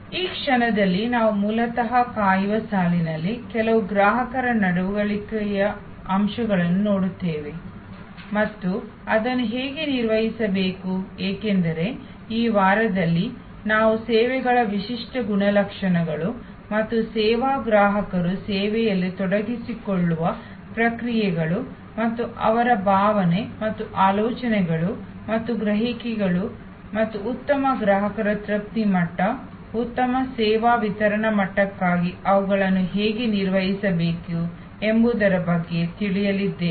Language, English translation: Kannada, At this moment, we are basically looking at some consumer behavioral aspects in waiting line and how that needs to be manage, because right at this moment we are looking at in this week, the unique characteristics of services and the service consumers engagement to the service processes and their feeling and thoughts and perceptions and how those need to be manage for a better customer satisfaction level, better service delivery level